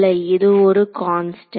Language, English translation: Tamil, So, this is a constant with